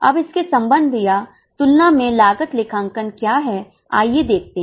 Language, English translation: Hindi, Now in relation or in comparison with this, let us see what is cost accounting